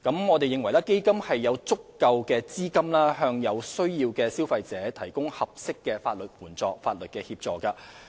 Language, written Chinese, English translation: Cantonese, 我們認為基金有足夠資金為有需要的消費者提供合適的法律協助。, We consider that the Fund is sufficient for providing appropriate legal assistance to consumers in need